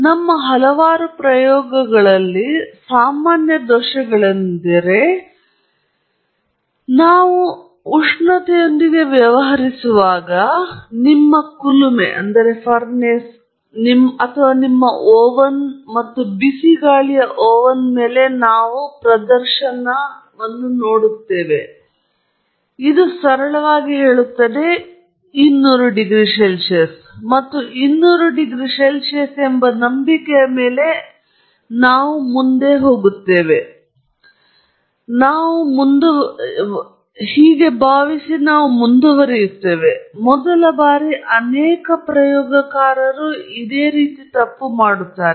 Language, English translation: Kannada, So, one of the common sources of error in many our experiments, where we are dealing with temperature is that we simply look at a display, which will be there on your furnace or your oven and hot air oven and it will simply say 200 degrees C, and we assume on faith that is 200 C, and we proceed; many, many first time experimenters do this